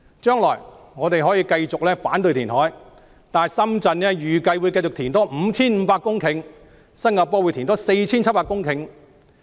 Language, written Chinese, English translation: Cantonese, 將來我們可以繼續反對填海，但深圳預計還會填海 5,500 公頃，新加坡還會填海 4,700 公頃。, We may continue to oppose reclamation in the future but it is expected that Shenzhen will further reclaim 5 500 hectares of land and Singapore 4 700 hectares